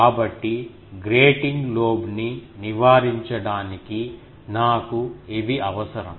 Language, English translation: Telugu, So, to avoid grating lobe, I require these